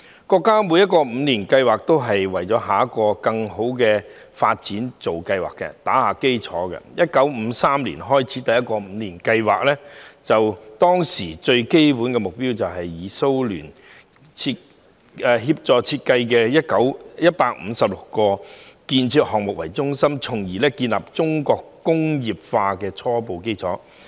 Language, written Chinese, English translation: Cantonese, 國家每個五年計劃都是為下一個更好的發展做計劃、打基礎，而第一個五年計劃始於1953年，當時的基本目標是以前蘇聯協助設計的156項建設項目為中心，建立起中國工業化的初步基礎。, All five - year plans of the country are developed to plan ahead and provide the basis for a brighter future . In 1953 the first Five - Year Plan was formulated to basically lay an initial foundation for Chinas industrialization through the implementation of 156 construction projects designed with the assistance of the former Soviet Union